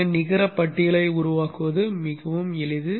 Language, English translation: Tamil, So generating the net list is pretty simple